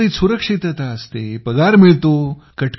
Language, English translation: Marathi, There is security in the job, there is salary